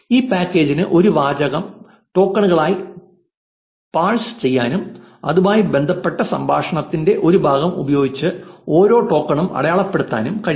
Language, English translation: Malayalam, This package is capable of parsing a sentence as tokens and marking each token with a part of speech associated with it